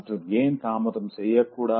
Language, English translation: Tamil, Now, why and why shouldn't you delay